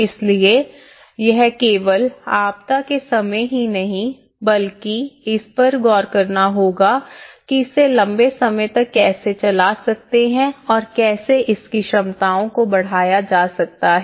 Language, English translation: Hindi, So, itÃs not just only during the time of disaster one has to look at it, long run approach how the capacities could be enhanced